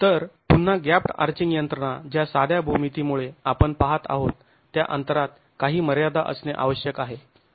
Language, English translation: Marathi, So the gap dashing mechanism again because of the simplified geometry that we are looking at needs to have some limit on the gap that is available